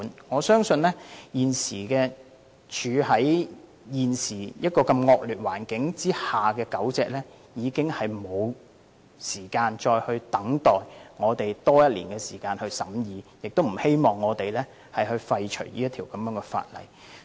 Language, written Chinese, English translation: Cantonese, 我相信現時處於惡劣環境下的狗隻已沒有時間再等我們多花1年時間審議，亦不希望我們廢除這項修訂規例。, I believe that dogs now living in deplorable conditions cannot afford to wait one more year for us to hold further deliberations and do not want us to repeal the Amendment Regulation